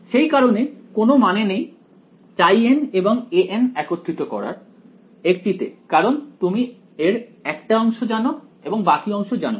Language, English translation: Bengali, So, there is no point in combining x n and a n into 1 because you know part of it and you do not know another part